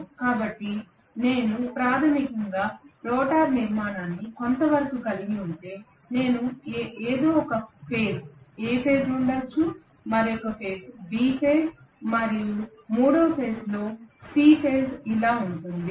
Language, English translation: Telugu, So if I have basically the rotor structure somewhat like this I am going to have may be A phase at some point, maybe B phase at another point and C phase at the third point something like this